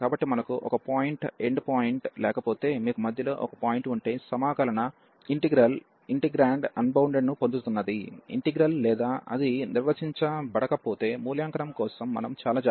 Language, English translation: Telugu, So, if we have a point not the end point, if you have a point in the middle where the integral is getting is integrand is unbounded or it is not defined, we have to be very careful for the evaluation